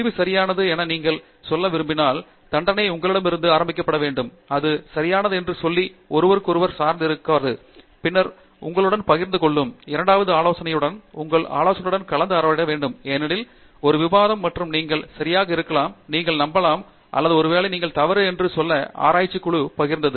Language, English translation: Tamil, When, if you want to say the result is right, the conviction should begin from you, you should not depend on someone to say it is right right and then sharing with your, discussing with your advisor that is a second step because, there is a discussion and may be you are right and you can convince or maybe you are wrong then sharing it with your own research group